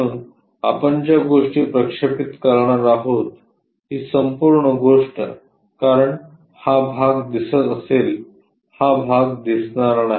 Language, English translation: Marathi, So, whatever the things if we are going to project, this entire thing because this part will be visible, this part is non visible